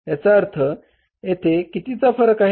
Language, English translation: Marathi, It means what is the difference here